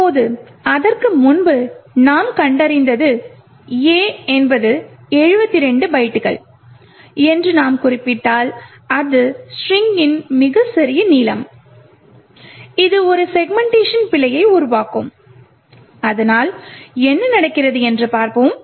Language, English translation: Tamil, if we specified that A is 72 bytes, then this is the smallest length of the string which would create a segmentation fault, so let us see this happening